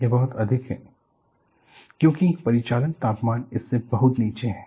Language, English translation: Hindi, Because the operating temperature is far below this